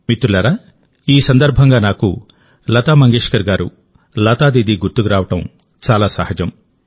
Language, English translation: Telugu, Friends, today on this occasion it is very natural for me to remember Lata Mangeshkar ji, Lata Didi